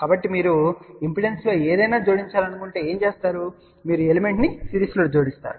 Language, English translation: Telugu, So, if you want to add something in the impedance, then what you do, you add the element in series